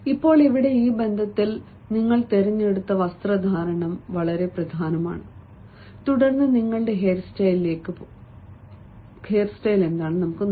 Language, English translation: Malayalam, in this connection, it is very important the sort of dress that you have chosen then comes to your hairstyle